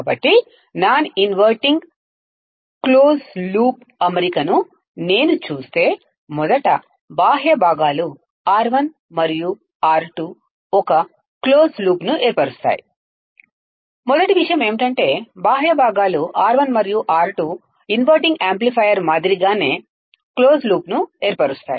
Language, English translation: Telugu, So, if I see the non inverting close loop configuration, firstly the external components R 1 and R 2 forms a closed loop right, first point is that external components R 1 and R 2 forms the closed loop, similar to the inverting amplifier